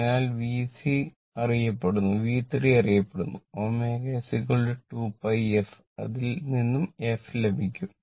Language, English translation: Malayalam, So, V c is known V 3 is known Omega is equal to 2 pi f from which you will get the f